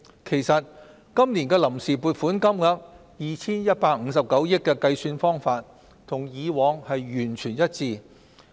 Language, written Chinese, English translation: Cantonese, 其實，今年的臨時撥款金額 2,159 億元的計算方法，與過往完全一致。, Actually the calculation of the total of 215.9 billion for this years Vote on Account is in line with that of the past